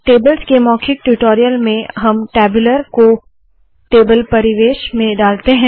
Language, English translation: Hindi, In the spoken tutorial on tables, we put the tabular inside the table environment